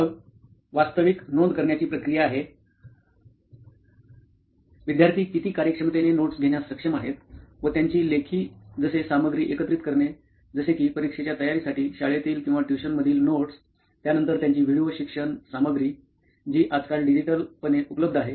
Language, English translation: Marathi, Then is the actual note taking process, how efficiently students are able to take notes and organize their written content for say it like their school notes or tuition notes preparation for their examinations, then their video learning content which is digitally available nowadays